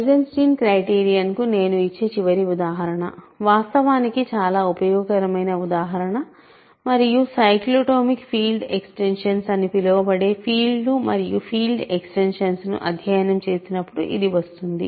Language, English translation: Telugu, So, the final example I will give for Eisenstein criterion which is actually a very useful example and it will come when we study fields and field extensions called cyclotomic field extensions and this is the following